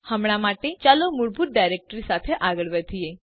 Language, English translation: Gujarati, For now let us proceed with the default directory